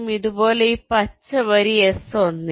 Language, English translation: Malayalam, similarly, for this green line s one